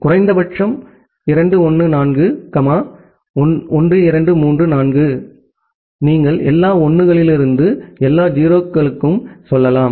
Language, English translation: Tamil, And the minimum is so, 1 2 3 4, 1 2 3 4, you can go from all 1’s to all 0’s